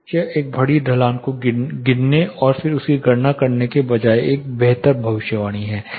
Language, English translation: Hindi, This is a better prediction rather than counting a very huge slope and then calculating it